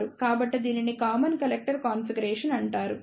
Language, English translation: Telugu, So, this is known as the common collector configuration